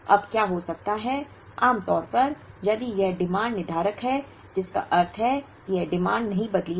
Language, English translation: Hindi, Now, what can happen is ordinarily, if this demand was deterministic which means this demand did not change